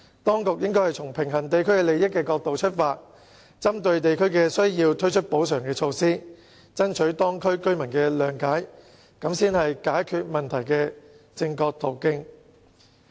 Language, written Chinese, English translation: Cantonese, 當局應該從平衡地區利益的角度出發，針對地區需要推出補償措施，以爭取當區居民的諒解，這才是解決問題的正確途徑。, The authorities should deal with issues from the perspective of balancing various local interests and introduce compensatory measures having regard to the needs of local communities so as to seek the understanding of local residents . This is the only correct way of resolving problems